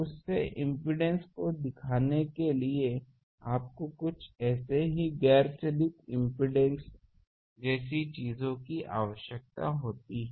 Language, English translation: Hindi, So, to put that impedance up, you need some non driven impedance things like these